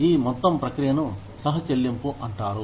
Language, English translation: Telugu, And, this whole process is called copayment